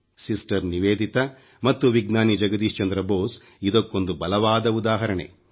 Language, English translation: Kannada, Sister Nivedita and Scientist Jagdish Chandra Basu are a powerful testimony to this